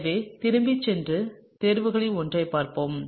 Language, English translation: Tamil, So, let’s go back and look at the one of the choices